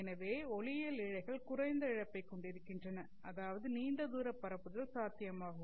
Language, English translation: Tamil, So optical fibers have low loss, which means long distance propagation is possible